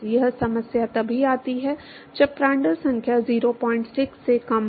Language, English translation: Hindi, This problem comes only when the Prandtl number is less than 0